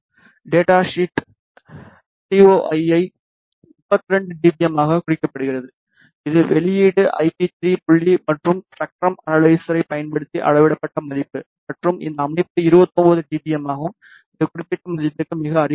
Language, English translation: Tamil, The data sheet mentions the TOI to be 32 dBm which is the output IP 3 point and the major value by using this spectrum analyzer and this setup is 29 dBm which is very close to the specified value